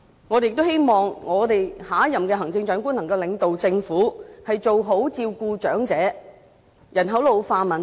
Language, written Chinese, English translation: Cantonese, 我們也希望下任行政長官能夠領導政府，改善對長者的照顧及處理人口老化的問題。, We also expect the next Chief Executive to lead his administration to improve care for the elderly and address the issue of ageing population